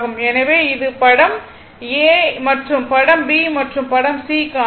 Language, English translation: Tamil, So, this is for figure c for figure a and figure b right